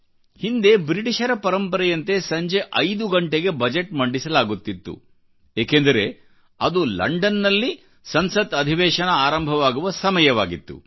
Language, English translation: Kannada, Earlier, as was the British tradition, the Budget used to be presented at 5 pm because in London, Parliament used to start working at that time